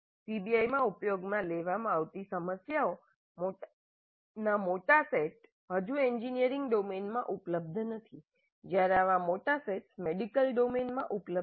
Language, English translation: Gujarati, Large sets of problems which can be used in PBI are not yet available in engineering domain while such large sets are available in the medical domain